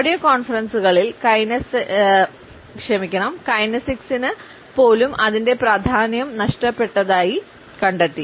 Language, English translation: Malayalam, In audio conferences, we find that even kinesics lost it is significance